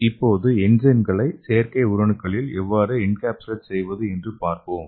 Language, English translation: Tamil, So let us see some of the examples of enzyme artificial cells